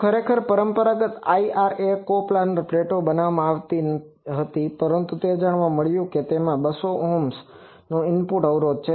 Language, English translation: Gujarati, So, actually conventional IRA was designed from coplanar plates, but it was found out that it has an input impedance of 200 Ohm